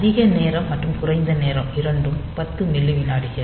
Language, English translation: Tamil, So, both this high time and low time they 10 milliseconds